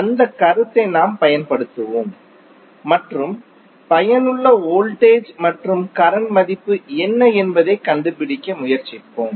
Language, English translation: Tamil, So we will use that concept and we try to find out what is the value of effective voltage and current